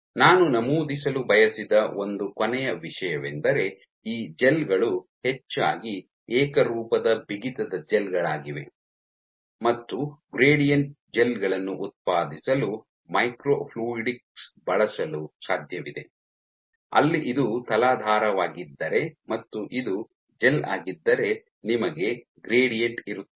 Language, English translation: Kannada, One last thing I wanted to mention, so while these studies these gels are mostly uniform stiffness gels it is possible using microfluidics to generate gradient gels where if this were your substrate you would have and this is your gel you would have a gradient